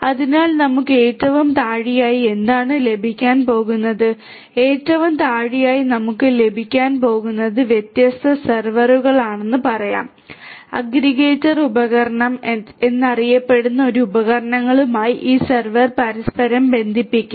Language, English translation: Malayalam, So, what we are going to have at the very bottom at the very bottom what we are going to have are let us say different different servers right different servers, these servers will be interconnected with each other to these devices known as the aggregator device